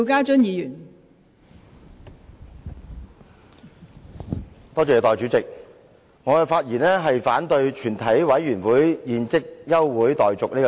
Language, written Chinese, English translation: Cantonese, 代理主席，我發言反對"全體委員會現即休會待續"的議案。, Deputy Chairman I speak in opposition to the motion that further proceedings of the committee be adjourned